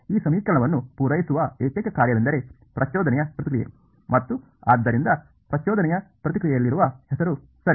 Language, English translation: Kannada, The only function that will satisfy this equation is the impulse response itself and hence the name in impulse response ok